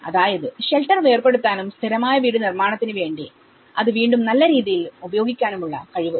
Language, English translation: Malayalam, Ability to disassemble the shelter and reuse component significantly in permanent housing reconstruction